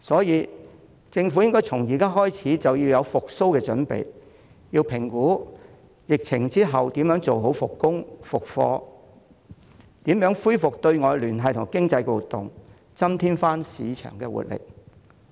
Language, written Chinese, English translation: Cantonese, 因此，政府應該從現在開始為復蘇做準備，亦要評估疫情後如何妥善復工、復課，以及如何恢復對外聯繫及經濟活動，增添市場的活力。, For this reason the Government should prepare for recovery from now on and examine proper ways for resumption of work and school after the epidemic and ways of restoring external connections and economic activities to make the market more vibrant